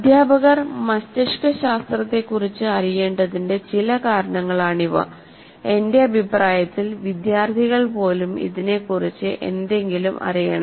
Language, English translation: Malayalam, Now that is, these are some reasons why, why teachers should know about brain science and in my opinion even the students should know something about it